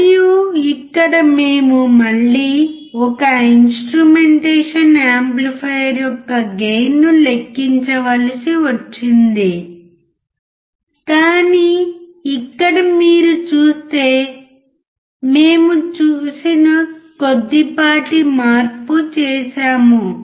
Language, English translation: Telugu, And here we had to again calculate the gain of an instrumentation amplifier, but here if you see there is a slight change that we have made